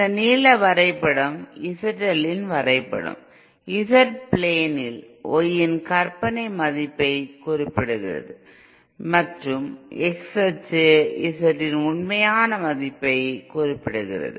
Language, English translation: Tamil, This blue graph is a plot of Z L, this is this plain is the Z plain that is Y axis the imaginary value of Z and X axis is the real value of that